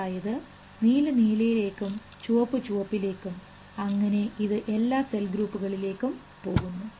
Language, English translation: Malayalam, So, blue will go to blue, red will go to red and this is going to all the cell groups